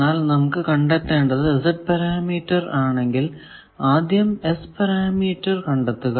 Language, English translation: Malayalam, So, their Z parameter finding is easier you can do that and then come to S parameter